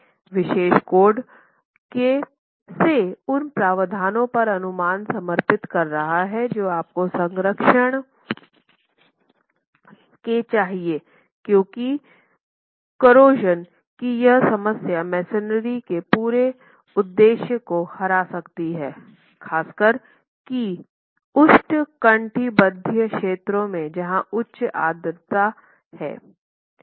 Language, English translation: Hindi, So, the fact that the code is dedicating a section specifically on what provisions you must take care of corrosion protection is simply because of this problem being able to defeat the whole purpose of the typology reinforced masonry, particularly in tropical or high humidity climates